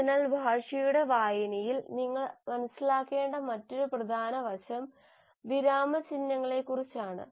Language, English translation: Malayalam, So there is another important aspect in the reading of language that you have to understand is about punctuations